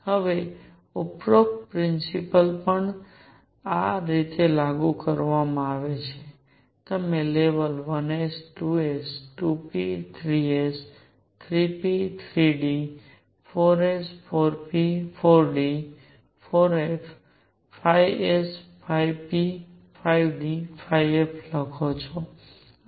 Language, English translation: Gujarati, Now the above principle at times is also written like this, you write the levels 1 s, 2 s, 2 p, 3 s, 3 p, 3 d, 4 s, 4 p, 4 d, 4 f, 5 s, 5 p, 5 d, 5 f and so on